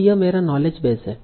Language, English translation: Hindi, So this is my knowledge base